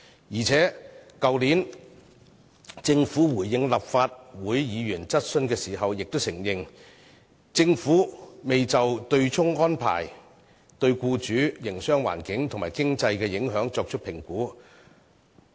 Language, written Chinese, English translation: Cantonese, 再者，政府去年回應立法會議員質詢時亦承認，未就取消對沖機制對僱主、營商環境和經濟的影響作出評估。, Furthermore in responding to the questions raised by Members last year the Government also conceded that it had not assessed the impacts of an abolition of the offsetting mechanism on employers the business environment and the economy